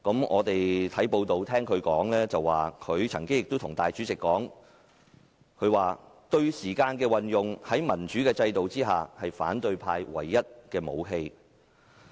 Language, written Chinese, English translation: Cantonese, 我們從報道得悉，他對主席說："對時間的運用，在民主制度下是反對派唯一的武器"。, We learned from the press that he told the President The use of time is the oppositions only weapon in a democracy